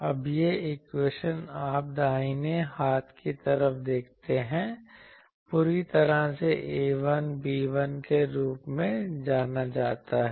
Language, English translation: Hindi, Now, these equations now you see the right hand side is fully known A 1 B 1 I know